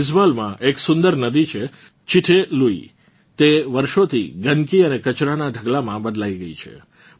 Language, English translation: Gujarati, There is a beautiful river 'Chitte Lui' in Aizwal, which due to neglect for years, had turned into a heap of dirt and garbage